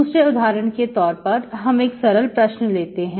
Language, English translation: Hindi, For example 2, so I will take simple example